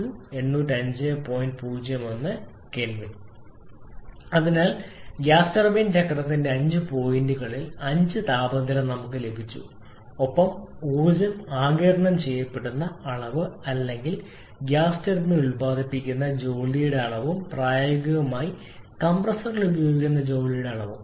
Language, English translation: Malayalam, So we have got the energy sorry the temperature of the five points on the five points of the gas turbine cycle and also the amount of energy absorbed or amount of work produced by the gas turbine in practice and assessment of water consumed by the compressor in practise